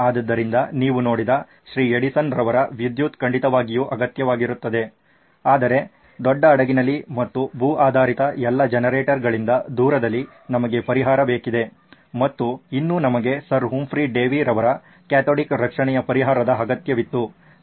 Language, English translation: Kannada, Edison’s electricity was definitely needed but in a large ship and in away from all its generators which were land based we needed a solution and still we needed Sir Humphry Davy’s solution of cathodic protection